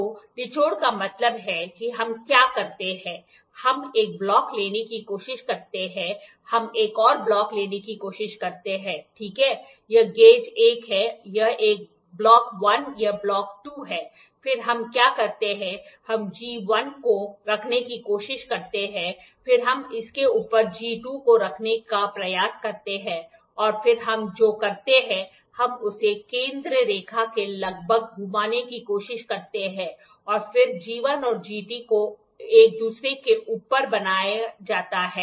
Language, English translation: Hindi, So, wrung means what we do is, we try to take a block we try to take another block, right this is gauge 1 or a block 1 this is block 2 then what we do is, we try to place G 1 and then we try to place G 2 on top of it and then what we do is we try to swivel at about its center line and then G 1 and G 2 are made one above each other